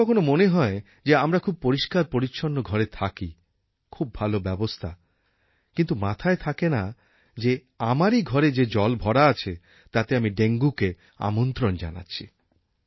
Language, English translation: Bengali, We feel that we live in very good houses with proper arrangements being totally unaware that water is collecting at some location in the house and that we are inviting dengue